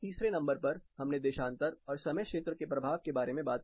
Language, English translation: Hindi, Number 3, we talked about the effect of longitude and time zones